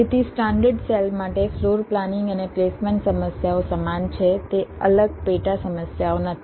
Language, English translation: Gujarati, so for standard cell, floor planning and placement problems are the same